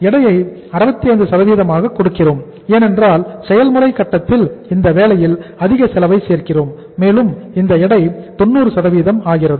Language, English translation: Tamil, We are giving the weight as 65% because we are adding more cost at this stage Wip and weight becomes 90%